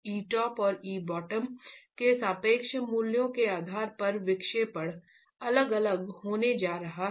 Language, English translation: Hindi, Your deflections are going to be different based on the relative values of e top and e bottom